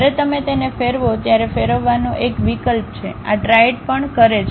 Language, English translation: Gujarati, There is an option to rotate when you rotate it this triad also rotates